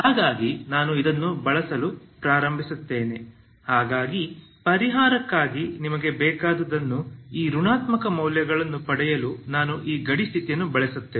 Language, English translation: Kannada, So I start I use this one so I use this boundary condition to get this negative values whatever you required for the solution